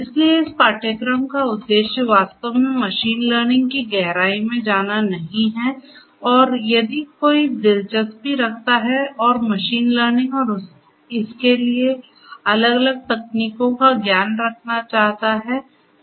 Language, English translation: Hindi, So, the purpose of this course is not to really get into the depth of machine learning and if anybody is interested and wants to have knowledge of machine learning and the different techniques that are there for machine learning